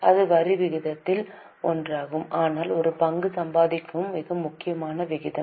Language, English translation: Tamil, This is one of the ratios but very important ratio earning per share